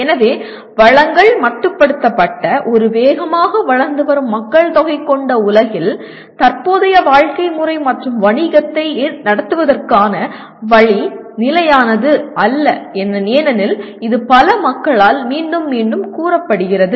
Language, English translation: Tamil, In a world that this is a fast growing population with resources being limited, so the current way of living and current way of doing business is not sustainable as it is being repeatedly stated by so many people